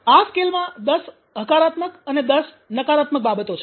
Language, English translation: Gujarati, So in these scale there are ten positive and ten negatives